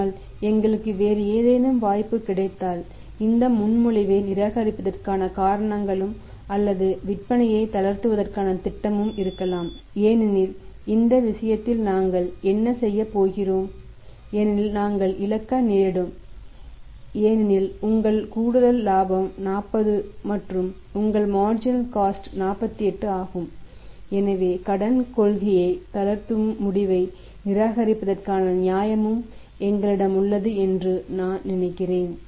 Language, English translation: Tamil, But if we have some other opportunity available then we have the reasons also to reject this proposition or maybe the proposal to relax the saless because in that case what we are going to do in that case we are going to end up a loeses because your additional profitability is 40 and your additional cost marginal cost is 48 so I think we have also the justification to reject the credit policy relaxing decision we should not relax it right